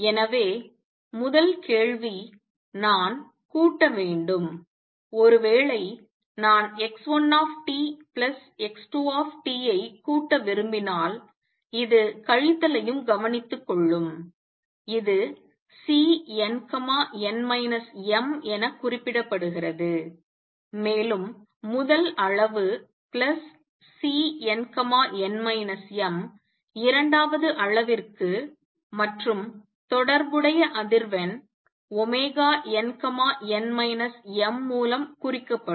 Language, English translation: Tamil, So, first question add the two quantities supposed I want to add x 1 t, plus x 2 t which also takes care of the subtraction this will be represented by C n, n minus m further first quantity plus C n, n minus m for the second quantity, and the corresponding frequency omega n, n minus m